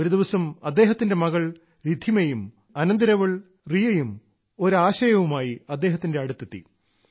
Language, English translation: Malayalam, One day his daughter Riddhima and niece Riya came to him with an idea